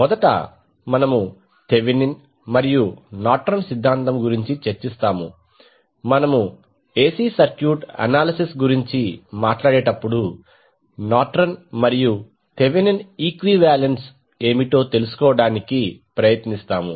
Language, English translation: Telugu, So, let us see what are those theorems with respect to the AC Circuit analysis, so first we will discuss about the Thevenin and Norton’s theorem, we will try to find out what would be the Nortons and Thevenin equivalence when we talk about the AC circuit analysis